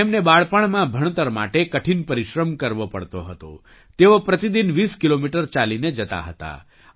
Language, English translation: Gujarati, In his childhood he had to work hard to study, he used to cover a distance of 20 kilometers on foot every day